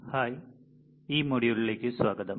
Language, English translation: Malayalam, Hi, welcome to this module